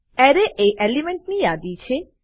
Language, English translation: Gujarati, Array: It is a list of elements